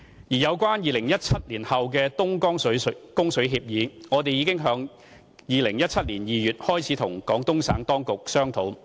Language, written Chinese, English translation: Cantonese, 而有關2017年後的東江水供水協議，我們已在2017年2月開始與廣東省當局商討。, As for an agreement on Dongjiang water supply after 2017 we have been discussing with the Guangdong authorities since February 2017